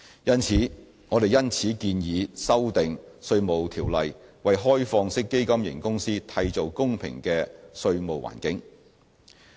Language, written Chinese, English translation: Cantonese, 因此，我們建議修訂《稅務條例》，為開放式基金型公司締造公平的稅務環境。, Therefore we propose to amend the Inland Revenue Ordinance to provide a more facilitating tax environment for OFCs